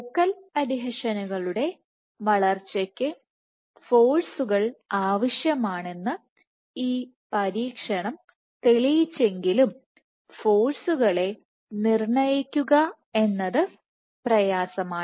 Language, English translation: Malayalam, However, though this experiment demonstrated that forces are required for driving the growth of focal adhesions it is difficult to quantify the forces